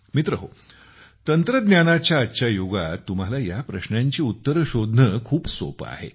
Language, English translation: Marathi, Friends, in this era of technology, it is very easy for you to find answers to these